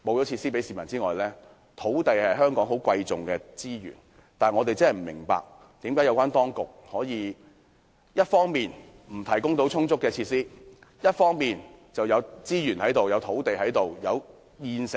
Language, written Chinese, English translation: Cantonese, 土地是香港十分貴重的資源，我真的不明白，當局為何一方面不提供足夠設施，另一方面不開放現有資源、土地或設施？, Land resources are extremely precious in Hong Kong I really do not understand why the authorities do not provide adequate facilities or open up the existing resources land or facilities